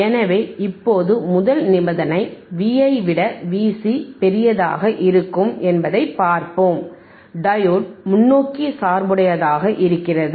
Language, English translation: Tamil, So, now, first let us see the first condition V i is greater than V c when V i is greater than V c by diode, , diode is in forward bias